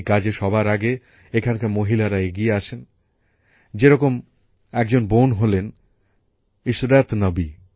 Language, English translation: Bengali, The women here came to the forefront of this task, such as a sister Ishrat Nabi